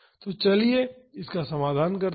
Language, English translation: Hindi, So, let us solve this